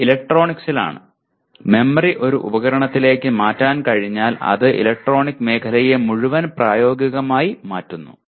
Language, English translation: Malayalam, This is in electronics once you are able to put memory into something into a device it practically it has changed the entire field of electronics